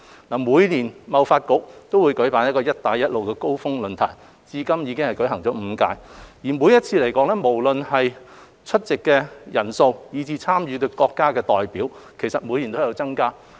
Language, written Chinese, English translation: Cantonese, 政府與香港貿易發展局每年均舉辦"一帶一路高峰論壇"，至今已經舉辦了5屆，無論是出席人數以至參與的國家代表，每年都有增加。, The Government and the Hong Kong Trade Development Council TDC organize the Belt and Road Summit the Summit every year and five of which have been held so far where the numbers of both the participants and delegates from participating countries are on the rise every year